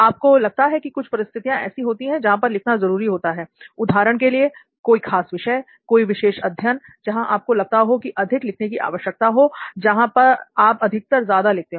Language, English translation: Hindi, Do you feel, are there scenarios where you feel it is more necessary to write than, say for example, a certain subject, a certain kind of learning where you feel you need to write more, where you feel you generally write more